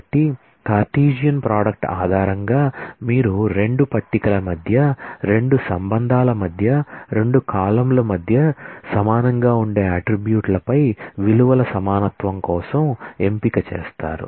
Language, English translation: Telugu, So, based on the Cartesian product you do a selection for equality of values on attributes which are identical between the 2 column between the 2 relations between the 2 tables